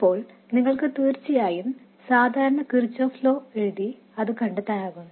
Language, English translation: Malayalam, Now, you can of course write the usual Kirchhoff's laws and find it